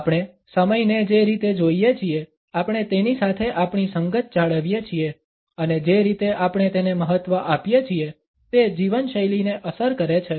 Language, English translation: Gujarati, The way we look at time, we maintain our association with it and the way we value it, affects the lifestyle